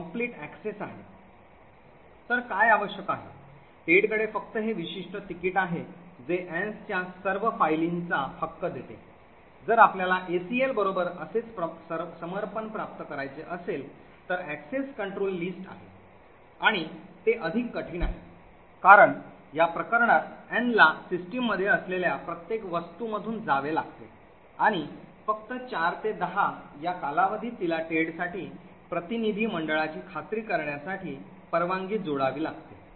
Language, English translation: Marathi, So what is required is Ted having just this particular ticket which gives in right to all of Ann’s files, if we want to achieve the same kind of dedication with the ACL that is the access control list and it is far more difficult, the reason being doing this case Ann has to pass through every object that is present the system and just for a period of 4PM to 10 PM she has to add permissions for Ted to ensure delegation